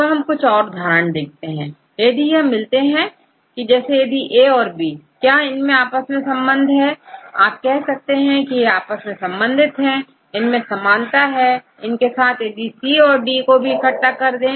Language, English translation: Hindi, So, we will show some of the examples and if then they are related for example, if A and B are these are closest one for example, then you can say they are very close, they will have the similarities, they are close to each other and then you can combine this group with C and D